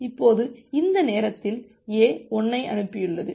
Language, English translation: Tamil, Now at this time, A has sent 1